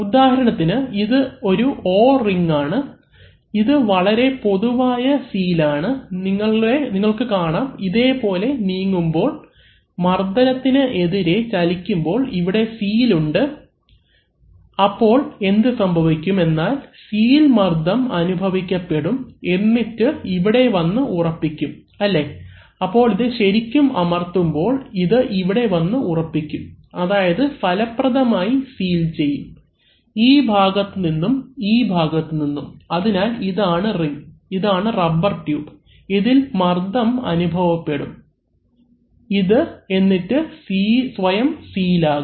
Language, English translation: Malayalam, For example, if you have, this is an O ring, which is a common very common type of seal, so you see that as this is moving, as this, this is, when it is moving against pressure, this is a seal in there, so what happens is that this seal is going to be pressurized and it will come and settle here, right, so when it is actually pressed, so when it will come and settle here, it will effectively settle, it will effectively seal this part, from this part, from this part, so this ring, this is a rubber tube, so it will come under pressure, it will come in it is a self sealing